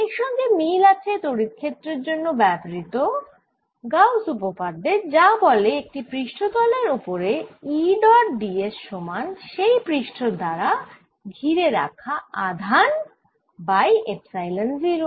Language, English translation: Bengali, this is similar to gauss's law for electric field that said that over a suface, e dot d s was equal to charge enclose, divided by epsilon zero